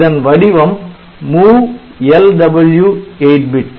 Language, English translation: Tamil, So, the format is like MOVLW 8 bit